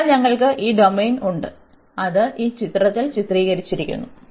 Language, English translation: Malayalam, So, we have this domain, which is depicted in this figure